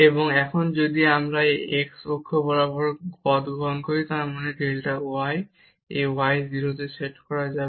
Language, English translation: Bengali, And now if we take path here along the x axis; that means, the delta y this y will be set to 0